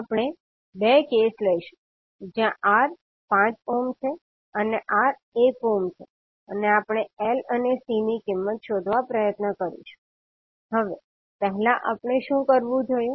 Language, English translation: Gujarati, So we will take 2 cases where R is 5 ohm and R is 1 ohm and we will try to find out the value of L and C